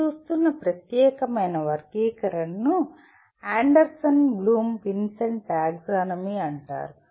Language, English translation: Telugu, The particular taxonomy of learning that we are looking at will be called Anderson Bloom Vincenti Taxonomy